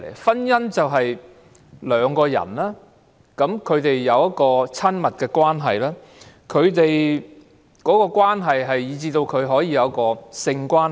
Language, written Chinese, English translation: Cantonese, 婚姻就是兩個人有親密關係，以至他們可以有性關係。, Marriage is the relationship between two individuals which is so intimate that they can have sexual relations